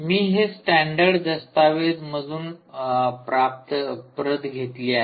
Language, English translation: Marathi, well, i copied this from the standard document